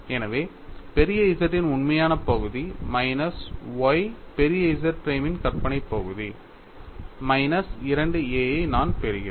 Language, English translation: Tamil, So, I get real part of capital Z minus y imaginary part of capital Z prime minus 2A